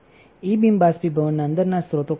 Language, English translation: Gujarati, What are the sources within the E beam evaporator